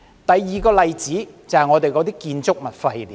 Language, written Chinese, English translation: Cantonese, 第二個例子，就是建築物廢料。, The second example is construction waste